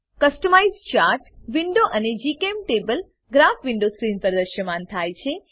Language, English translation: Gujarati, Customize Chart window and GChemTable Graph window appear on the screen